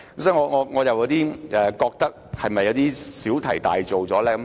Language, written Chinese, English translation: Cantonese, 所以，我們是否有點小題大做？, Hence are we making a mountain out of a molehill?